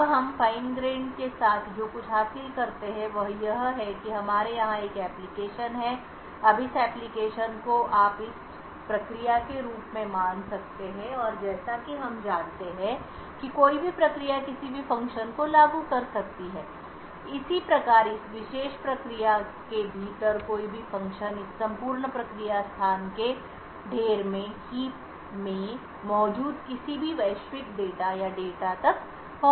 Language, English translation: Hindi, Now what we achieve with Fine grained confinement is that we have an application over here, now this application you could consider this as a process and as we know within a process any function can invoke any other function, Similarly any function within this particular process can access any global data or data present in the heap of this entire process space